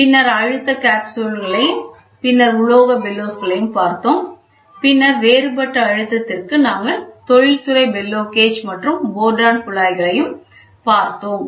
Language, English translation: Tamil, Then we also saw pressure capsules then metal bellows, then for differential pressure industrial bellow gauge we saw and Bourdon tubes we saw